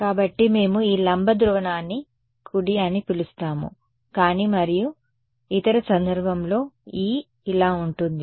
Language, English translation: Telugu, So we will call this perpendicular polarization right, but and the other case E will be like this